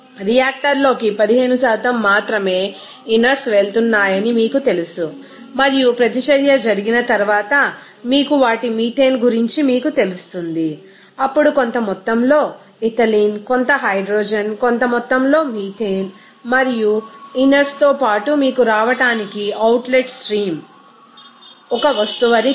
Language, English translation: Telugu, Then and you know 15% only inerts are going into the reactor and after reaction happens you will see them some you know methane then some amount of ethylene some moment of hydrogen, some amount of methane along with inerts to come in you know outlet stream such a product